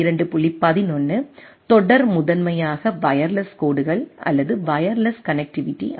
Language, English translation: Tamil, 11 series is primarily for wireless lines or wireless connectivity right